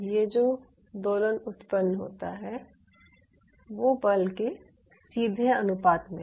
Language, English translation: Hindi, so this oscillation is directly proportional to the force generated